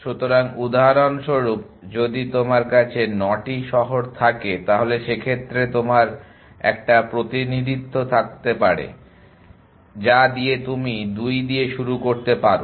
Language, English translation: Bengali, So, for example, if you have 9 cities you may have representation which is that you start with 2